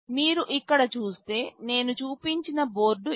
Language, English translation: Telugu, If you see here this is the same board that I had shown